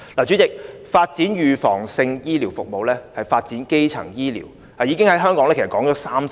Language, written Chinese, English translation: Cantonese, 主席，發展預防性醫療服務、發展基層醫療，在香港已經提出30年。, President the proposals of developing preventive healthcare services and primary healthcare have been raised for 30 years